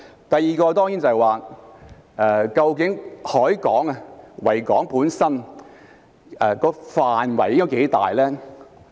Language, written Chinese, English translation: Cantonese, 第二，究竟維多利亞港本身的範圍應該多大呢？, Second regarding the coverage of the Victoria Harbour how large should it be?